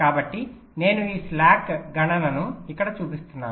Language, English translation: Telugu, so i am showing this slack computation here now